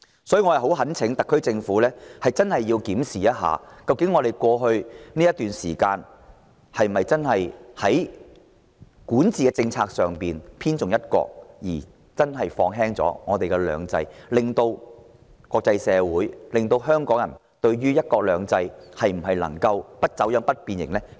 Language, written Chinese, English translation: Cantonese, 所以，我懇請特區政府認真檢視，在過去一段時間，管治政策有否重"一國"而輕"兩制"，令國際社會及港人產生信心危機，質疑香港的"一國兩制"能否"不走樣、不變形"？, Hence I implore the SAR Government to take a hard look at its governance policy at the period just past and see whether it is overemphasizing one country at the expense of two systems creating a crisis of confidence among the international community and Hong Kong people who question whether Hong Kongs one country two systems can be free from being bent or distorted